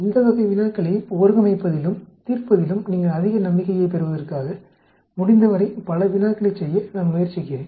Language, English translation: Tamil, I am trying to do as many problems as possible so that you gain lot of confidence in organizing and solving this type of problems